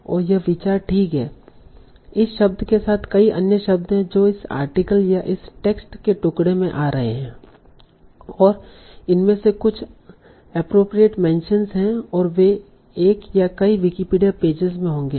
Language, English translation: Hindi, And the idea is, okay, so with this word there are many other words that are coming in this article or this piece of text and some of these will be appropriate mentions and they will link to one or many Wikipedia pages